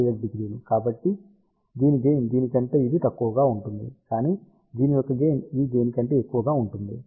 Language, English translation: Telugu, So, gain of this will be smaller than this, but gain of this will be larger than this ok